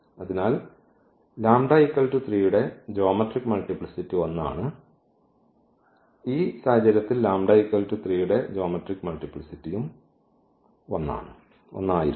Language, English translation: Malayalam, So, the geometric multiplicity of this lambda is equal to 3 is 1 and the algebraic multiplicity of this lambda is equal to 3 was also 1 in this case